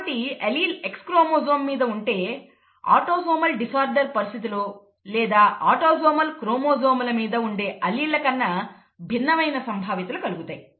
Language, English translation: Telugu, So if the allele lies on the X chromosome, then the probabilities are going to be different from that we found with autosomal disorders, or the alleles that reside on autosomal chromosomes